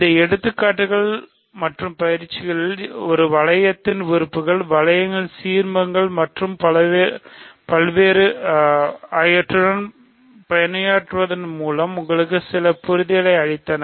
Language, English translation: Tamil, So, hopefully these examples and exercises gave you some comfort with working with elements of a ring, ideals of rings and so on